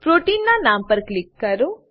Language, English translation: Gujarati, Click on the name of the protein